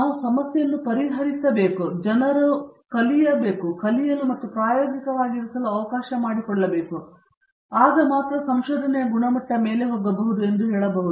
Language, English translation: Kannada, If we could address that problem and allow people to learn and experiment and then go about I would say the quality of research would go many notches above